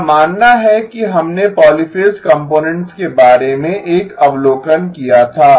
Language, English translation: Hindi, I believe we had made an observation about the polyphase components